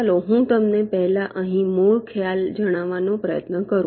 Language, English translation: Gujarati, ok, let me try to tell you the basic concept here first